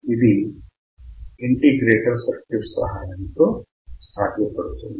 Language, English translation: Telugu, This we can do with the help of an integrator